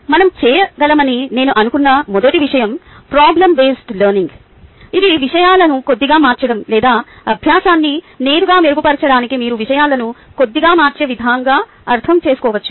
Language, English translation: Telugu, the first thing that i thought we can do is problem based learning, which is slightly changing things, or it can be interpreted in a way ah, in which you slightly change things to directly improve the learning